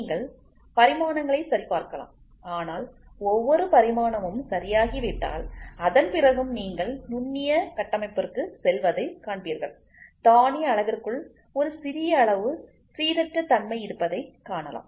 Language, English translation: Tamil, You can check the dimensions, but moment every dimension is, ok then even after that you will see you go to the microscopical structure you see there is a small amount of randomness within the grain size